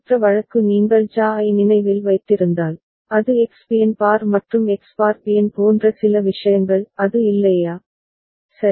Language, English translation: Tamil, And the other case if you remember for JA, it was X Bn bar plus X bar Bn some such thing is not it, right